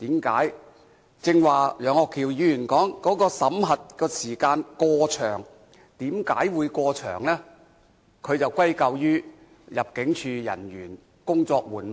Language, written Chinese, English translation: Cantonese, 根據我的理解，他似乎是歸咎於入境事務處人員工作緩慢。, As I can understand from his words he seems to attribute this to the sluggishness of the staff in the Immigration Department ImmD